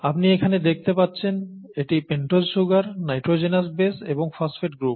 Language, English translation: Bengali, So you can see here this is the pentose sugar, the nitrogenous base and the phosphate group, okay